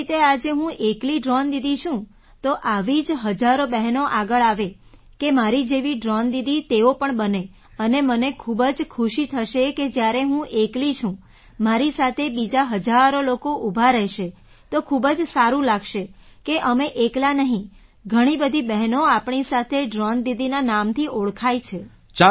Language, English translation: Gujarati, Just like today I am the only Drone Didi, thousands of such sisters should come forward to become Drone Didi like me and I will be very happy that when I am alone, thousands of other people will stand with me… it will feel very good that we're not alone… many people are with me known as Drone Didis